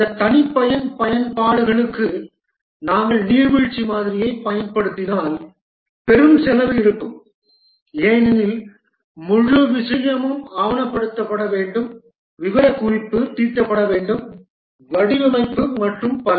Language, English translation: Tamil, If we use the waterfall model for this custom applications, there will be huge cost because the entire thing has to be documented, specification laid out, design and so on